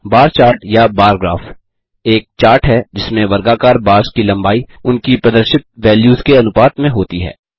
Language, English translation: Hindi, A bar chart or bar graph is a chart with rectangular bars with lengths proportional to the values that they represent